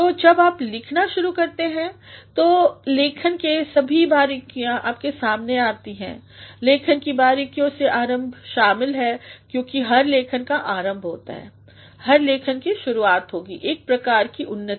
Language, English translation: Hindi, So, when you start writing, then all the nuances of writing come before you, the nuances of writing include the beginning because every writing will have a beginning, every writing will have a start, a sort of development